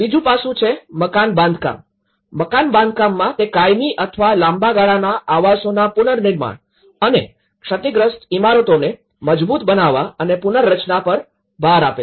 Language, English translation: Gujarati, The second aspect is the building construction; in the building construction which looks at the permanent or the long term housing reconstruction and the strengthening and retrofitting of the damaged buildings